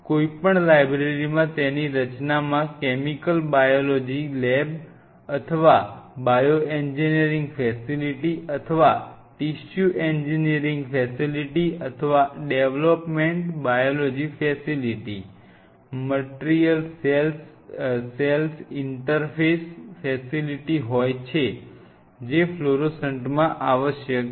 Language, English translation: Gujarati, Any library setup its a chemical biology lab or a bioengineering facility or a tissue engineering facility or a development biology facility in or by material cell interface facility fluorescent will be essential